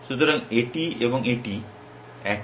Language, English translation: Bengali, So, this and this are the same